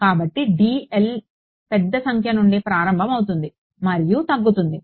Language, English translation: Telugu, So, dl is starting from a large number and decreasing